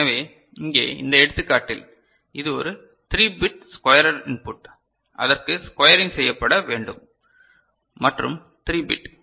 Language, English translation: Tamil, So, here in this example; so, this is a 3 bit squarer input is there for which a squaring is being is to be done and 3 bit